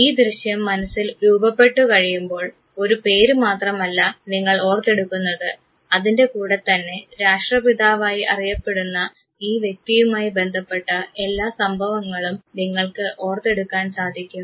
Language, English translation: Malayalam, When this image gets generated in your mind, suddenly you recollect not only the name, but you recollect whole sequence of events attached to this very individual who is known as the father of the nation